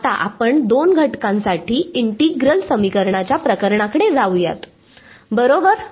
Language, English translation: Marathi, Now, we go to the case of the integral equations for two elements right